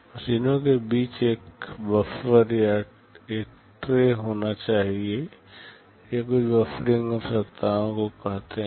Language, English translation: Hindi, There must be a buffer or a tray between the machines, these are something called buffering requirements